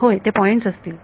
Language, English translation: Marathi, Yeah, they will be point